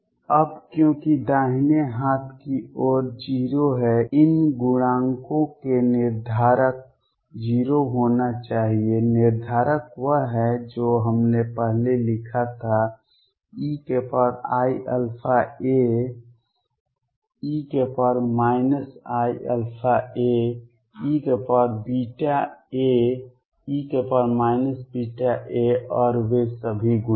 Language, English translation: Hindi, Now, because right hand side is 0 these are the determinant of these coefficients should be 0, determinant is whatever we wrote earlier e raised to i alpha a e raised to minus i alpha a e raised to beta a e raised to minus beta a and all those coefficients